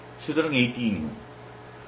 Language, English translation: Bengali, So, this is rule